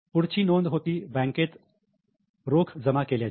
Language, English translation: Marathi, The next entry was cash deposited in bank